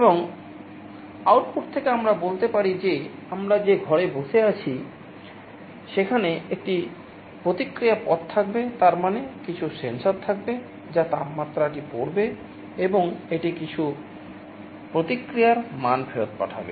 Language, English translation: Bengali, And from the output let us say the room where I am sitting, there will be a feedback path; that means, there will be some sensors, which will be reading the temperature and it will be sending back some feedback value